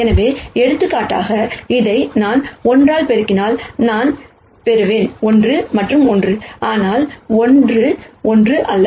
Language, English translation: Tamil, So, for example, if I multiply this by minus 1 I will get minus 1 and minus 1, but not 1 minus 1